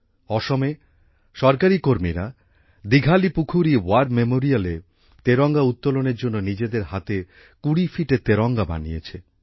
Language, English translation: Bengali, In Assam, government employees created a 20 feet tricolor with their own hands to hoist at the Dighalipukhuri War memorial